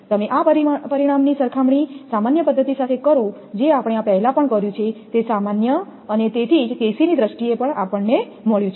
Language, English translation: Gujarati, You will compare this result with the general thing whatever we have done before this is a general generalized one and that is why in terms of KC whatever we have got